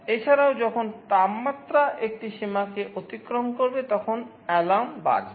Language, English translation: Bengali, Also, whenever the temperature crosses a threshold, the alarm will sound